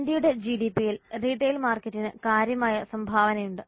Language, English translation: Malayalam, Retail market has significant contribution to India's GDP